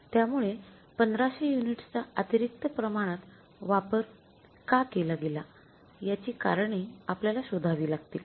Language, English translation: Marathi, So it may be possible we have to find out the reasons that why the extra quantity of 1,500 units has been used